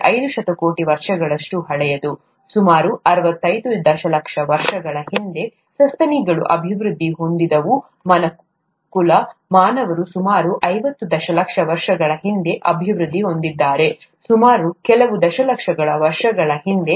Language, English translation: Kannada, This earth is probably four point five billion years old, primates developed about sixty five million years ago, mankind, humans developed about fifty million years ago round about that some million years ago